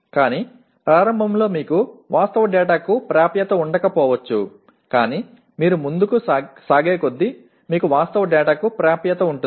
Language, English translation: Telugu, But initially you may not have access to actual data but as you go along you will have access to the actual data